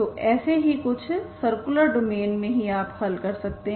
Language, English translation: Hindi, So only certain domains you can solve these problems